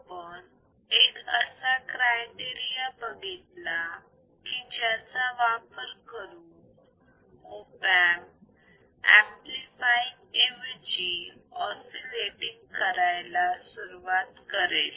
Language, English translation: Marathi, We have seen the criteria that Op amp can be used in such a way that instead of amplifying, it will start oscillating